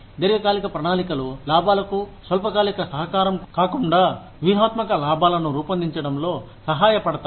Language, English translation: Telugu, Long term plans, help design strategic gains, rather than, short term contribution, to profits